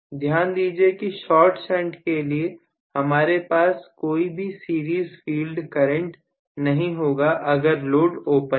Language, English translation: Hindi, Please note in short shunt, I am not going to have any series field current at all if the load is open